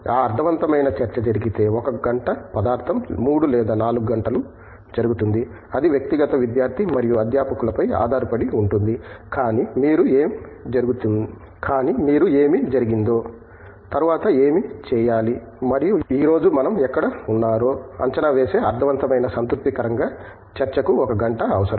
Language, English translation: Telugu, If that meaningful discussion takes place 1 hour of material takes place 3 or 4 hours it depends in individual student and the faculty, but a meaningful contentful discussion where you evaluate what has been done, what has to be done next and where we are today, requires 1 hour